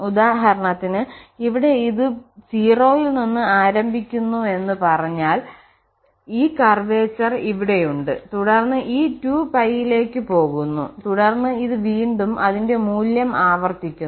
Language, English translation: Malayalam, So, here for instance if we say this starts from 0 then it is having this curvature here and then goes up to this up to this 2 pi and then again this repeats its value